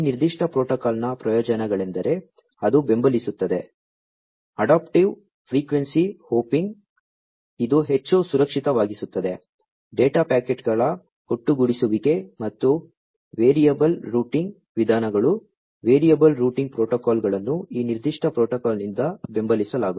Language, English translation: Kannada, The advantages of this particular protocol is that it supports, adaptive frequency hopping, which makes it more secured, aggregation of data packets, and variable routing methodologies variable routing protocols, are supported by this particular protocol